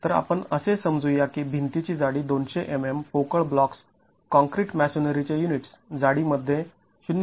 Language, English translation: Marathi, So, let us assume that the thickness of the wall is 200 mm hollow blocks, concrete masonry units, 0